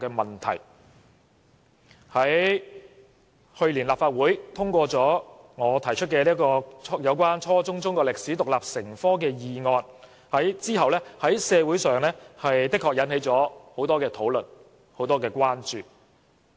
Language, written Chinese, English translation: Cantonese, 立法會去年通過我提出有關"初中中國歷史獨立成科"的議案，其後在社會上引起了很多討論和關注。, Last year following the Legislative Councils passage of the motion I moved on Requiring the teaching of Chinese history as an independent subject at junior secondary level much discussion and concern has been aroused in society